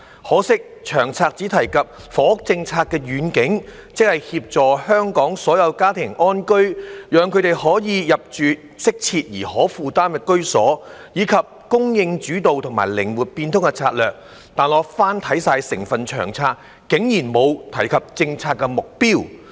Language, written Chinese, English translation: Cantonese, 可惜《長策》只提及房屋政策的願景，即"協助香港所有家庭安居，讓他們可以入住適切而可負擔的居所"，以及"供應主導"和"靈活變通"的策略，但翻看整份《長策》，竟然沒有提及政策目標。, Regrettably the LTHS only mentioned the vision of helping all households in Hong Kong gain access to adequate and affordable housing as well as the supply - led and flexiblestrategies of the housing policy . But in the whole LTHS there is no mention of the policy objectives